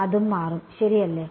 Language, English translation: Malayalam, It will change right